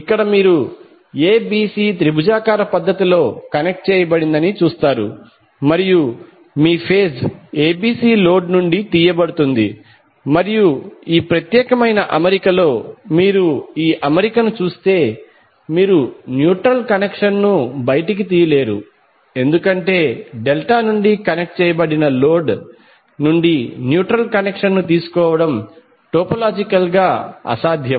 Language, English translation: Telugu, Here you will see ABC are connected in triangular fashion and your phase ABC is taken out from the load and if you see this particular arrangement in this particular arrangement you cannot take the neutral connection out because it is topologically impossible to take the neutral connection from the delta connected load